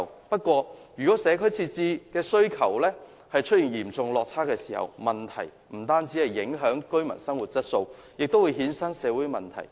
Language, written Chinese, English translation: Cantonese, 不過，一旦社區設施的需求出現嚴重落差，將不僅會影響居民的生活質素，更會衍生社會問題。, In case there is a serious shortfall in the provision of community facilities not only the living quality of the residents will be affected it may also give rise to different social issues